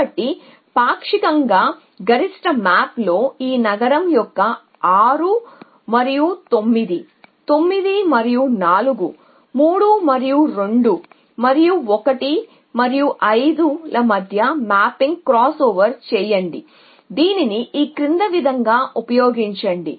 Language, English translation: Telugu, So, in partially max map crosser mapping between this city’s 6 and 9, 9 and 4, 3 and 2 and 1 and 5 can use this us following